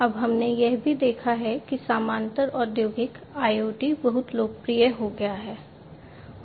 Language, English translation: Hindi, Now, we have also seen that parallely industrial IoT has become very popular, right